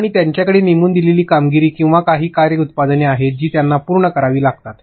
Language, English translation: Marathi, And they have assignments or certain work products which they have to finish